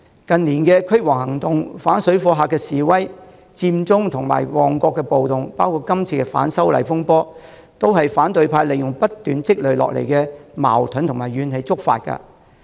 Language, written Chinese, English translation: Cantonese, 近年的"驅蝗行動"、反水貨客示威、佔中和旺角暴動，以及今次反修例風波，都是反對派利用不斷積累下來的矛盾和怨氣觸發的。, The anti - locust campaign protests against parallel traders Occupy Central and Mong Kok riot in recent years as well as the legislative amendment row this time round are all triggered by the opposition camp through its manipulation of the conflicts and grievances which have continuously accumulated